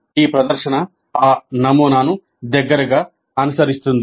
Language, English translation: Telugu, This presentation closely follows that model